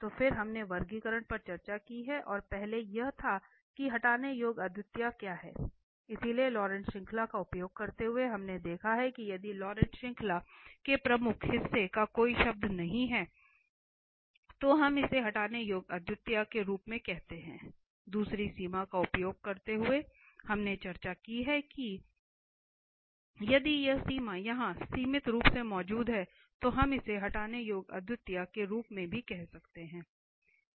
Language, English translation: Hindi, So, then we have discussed the classification and the first was what is the removable singularity, so using the Laurent series we have observed that if the principal part of the Laurent series has no term then we call it as removable singularity, the second using the limit we have discussed and their we discussed that if this limit here exist finitely then also we call it as removable singularity